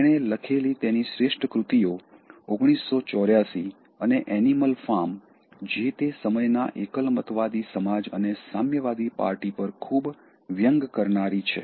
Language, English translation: Gujarati, He created his masterpieces; 1984, he created Animal Farm, a very sarcastic take on the totalitarian society, the Communist Party that was prevailing at the time